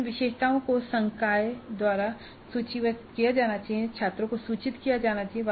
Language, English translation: Hindi, So these attributes have to be listed by the faculty upfront and communicated to the students